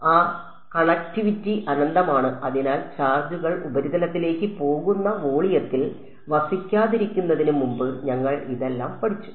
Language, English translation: Malayalam, That connectivity is infinite therefore, we have studied all of this before it charges don’t reside in the volume they all go to the surface